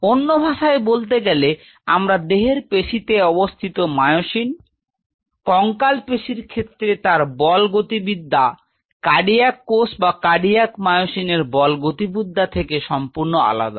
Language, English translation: Bengali, In other word what I mean to say is the myosin present in these muscles of my body, which are the skeletal muscle are entirely different force dynamics, then the force dynamics of the cardiac cells or cardiac myosin which are present